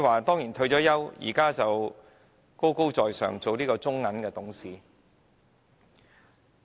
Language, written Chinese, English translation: Cantonese, 她已退休，如今成為高高在上的中國銀行董事。, Gone into retirement she has now assumed the top position of director of the Bank of China